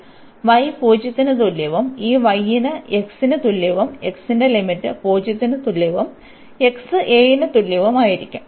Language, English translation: Malayalam, So, from y is equal to 0 to this y is equal to x and the limit for the x will be from this is x is equal to 0 to x is equal to a; this is x is equal to a